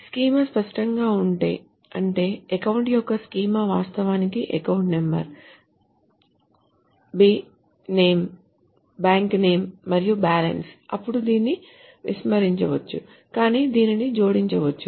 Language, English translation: Telugu, If the schema is obvious, that means if the schema of account is actually A number, B name and balance, then this can be omitted but it can be